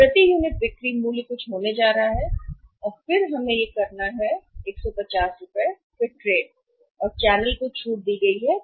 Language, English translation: Hindi, So, selling price per unit is going to be something and then we have to; this is the selling price per unit is 150 trade discount is 15 given to the channel